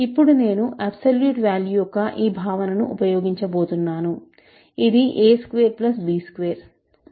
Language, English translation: Telugu, Then, I am going to use this notion of absolute value which is a squared plus b squared